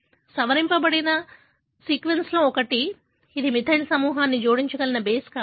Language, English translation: Telugu, One of the sequences which gets modified, it could be a base onto which a methyl group could be added